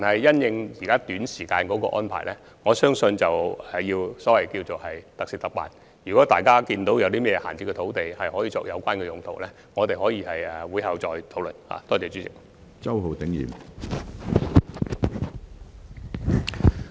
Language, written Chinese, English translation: Cantonese, 關於短期的安排，我相信要特事特辦，如果大家發現有甚麼閒置土地可以作有關用途，我們可以在會後再作討論。, As for short - term arrangements I think special issues warrant special treatments . If Members find any vacant land which can be used for the relevant purposes we can further discuss the matter after the meeting